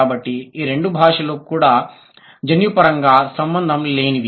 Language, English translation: Telugu, So, these two, these two are also genetically unrelated